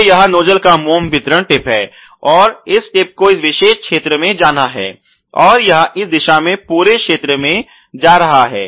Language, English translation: Hindi, So, this is the wax dispensing tip of the nozzle, and this tip is supposed to go into this particular region here and it is going all the way into this region in this direction